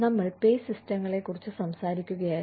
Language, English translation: Malayalam, We were talking about, Pay Systems